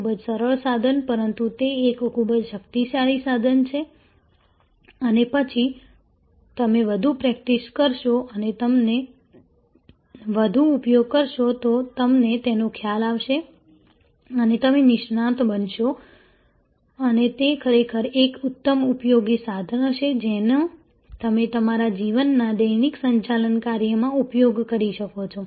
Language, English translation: Gujarati, Very simple tool,, but it is a very powerful tool and then more you are practice and more you use you will get a hang of it and you will become an expert and it will really be an excellently useful tool that you can use in your day to day management task